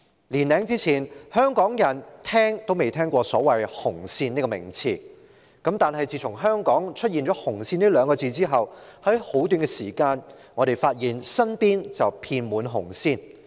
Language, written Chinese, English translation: Cantonese, 年多以前，香港人從未聽聞"紅線"這名詞，但自從香港出現"紅線"二字後，在短時間內，我們即發現身邊遍滿"紅線"。, A year or so ago the people of Hong Kong had never come across the term red line . But since these two words red line appeared in Hong Kong we became aware in a short time that these red lines are all around us